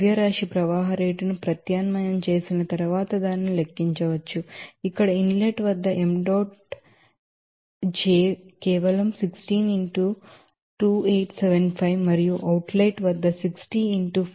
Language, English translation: Telugu, So, that can be calculated after substitution of that mass flow rate here m dot j here at the inlet, the same as the simply 16 into 2875 and outlet that is 60 into 417